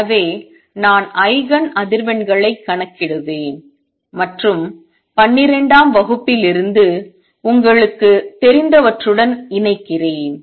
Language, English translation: Tamil, So, I will just say calculate Eigen frequencies and connect with what you know from twelfth grade